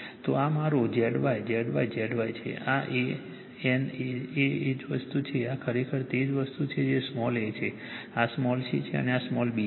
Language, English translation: Gujarati, So, this is my Z Y Z Y Z Y right this is A N A same thing this is actually it is same thing it is small a , this is your small c , and this is your small b , same thing